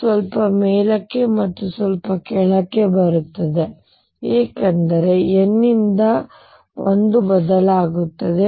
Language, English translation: Kannada, Little up and down is coming because n changes by 1